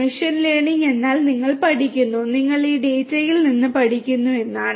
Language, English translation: Malayalam, Machine learning means that you are learning, you are learning from this data